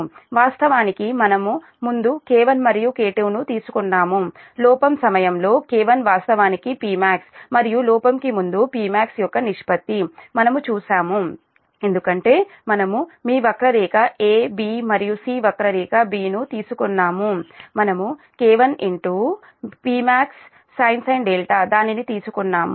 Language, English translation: Telugu, we have seen that k one actually p max during the fault and ratio of p max before the fault, because we have taken your, your curve a, b and c curve b we have taken it is k one in to your p max sin delta